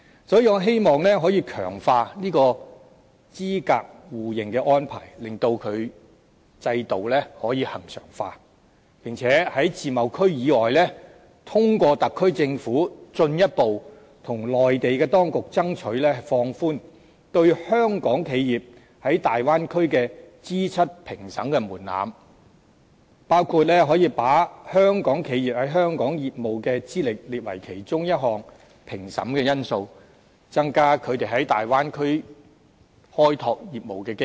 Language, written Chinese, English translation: Cantonese, 所以，我希望可以強化這個資格互認的安排，令該制度可以恆常化；並在自貿區以外，通過特區政府進一步向內地當局爭取，放寬對香港企業在大灣區的資質評審門檻，包括把香港企業在香港的業務資歷，列為其中一項評審的因素，增加它們在大灣區開拓業務的機遇。, Therefore I hope that the arrangement for mutual recognition of qualifications can be enhanced and there will be regular arrangements under the system . Other than the Free Trade Zones I also hope that the SAR Government can further negotiate with the Mainland authorities about relaxing the threshold for accreditation of qualifications in regard to Hong Kong enterprises in the Bay Area including the incorporation of the business records in Hong Kong of these Hong Kong enterprises as an element in the accreditation with a view to increasing their opportunities to explore their businesses in the Bay Area